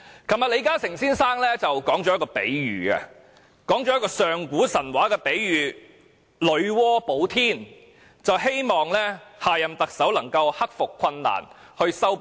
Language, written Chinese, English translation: Cantonese, 昨天，李嘉誠先生說了一個上古神話的比喻"女媧補天"，希望下任特首能夠克服困難，修補裂縫。, Yesterday Mr LI Ka - shing used an ancient mythology of goddess Nuwa patching up the sky to express his wish that the next Chief Executive would overcome difficulties and resolve dissension